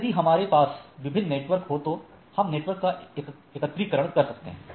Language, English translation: Hindi, So, there are several networks which are connected together